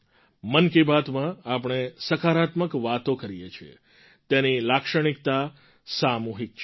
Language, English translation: Gujarati, In Mann Ki Baat, we talk about positive things; its character is collective